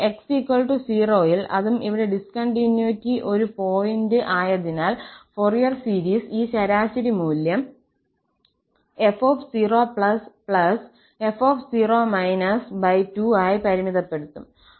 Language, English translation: Malayalam, So, at x equal to 0 because that is also a point of discontinuity here, the Fourier series will converge to this average value f and f divided by 2, the limiting value at 0